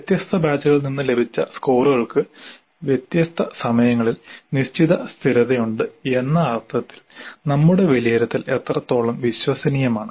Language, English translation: Malayalam, So to what extent our assessment is reliable in the sense that scores obtained from different batches at different times have certain consistency